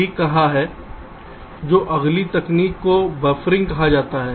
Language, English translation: Hindi, fine, so the next technique is called buffering